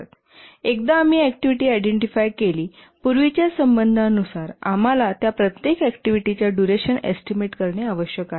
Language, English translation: Marathi, And once we identify the activities, their precedence relationship, we need to estimate the time duration for each of these activities